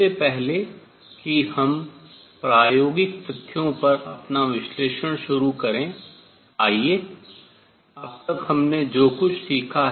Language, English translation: Hindi, Before we start our analysis on experimental facts, let us just summarize what we have learnt so far